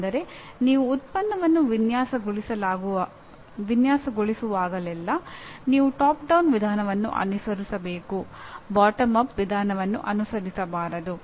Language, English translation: Kannada, That is whenever you design a product you should do top down approach not bottoms up